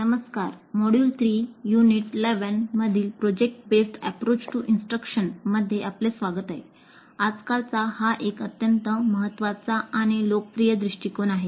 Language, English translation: Marathi, Greetings, welcome to module 3, Unit 11 on project based approach to instruction, an extremely important and popular approach these days